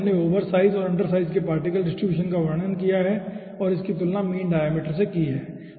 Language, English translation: Hindi, so in this we have described oversized and undersized particle distribution and compared it with mean diameter